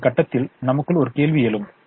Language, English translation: Tamil, so at this point one question remains